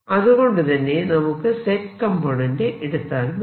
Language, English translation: Malayalam, i can write only the z component of this